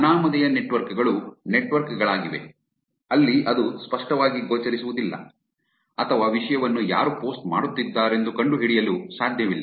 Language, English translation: Kannada, Anonymous networks are networks, where it is not clearly visible or it is not possible to find out who is actually posting the content